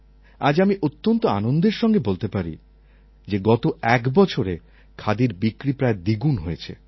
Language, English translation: Bengali, Today, I can say with great satisfaction that in the past one year the sales of Khadi have almost doubled